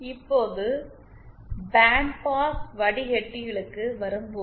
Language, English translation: Tamil, Now coming to band pass filters